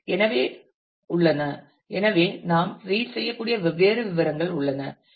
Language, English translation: Tamil, So, there are; so, there are different details you can read through that